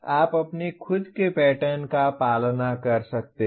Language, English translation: Hindi, You can follow your own pattern